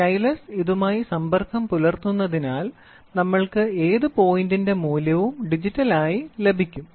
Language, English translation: Malayalam, The stylus comes in contact with it so we try to get a digital display of the value at any given point of time